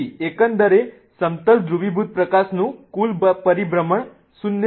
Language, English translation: Gujarati, So, in the sense overall the total rotation of plane polarized light will be zero